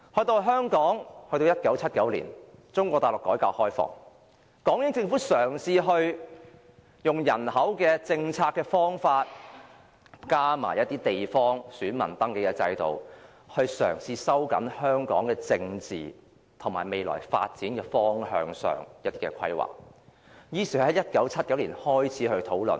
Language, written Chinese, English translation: Cantonese, 到了1979年，中國大陸改革開放，港英政府嘗試透過人口政策和地方選民登記制度，加強規劃香港的政治發展方向，於是在1979年開始進行討論。, By 1979 Mainland China was on the road of reform and opening and the British Hong Kong administration also attempted to step up planning on the direction of Hong Kongs political development through its population policies and the local councils voter registration system . Hence discussions were initiated in 1979